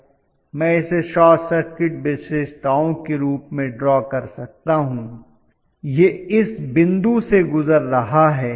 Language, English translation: Hindi, So I can draw this as the short circuit characteristics, this is passing through this point